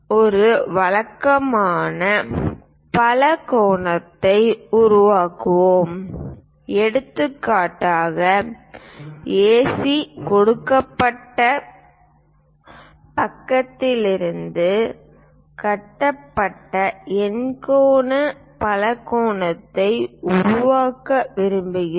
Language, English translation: Tamil, Let us construct a regular polygon; for example, we will like to make octagonal polygon constructed from AC given side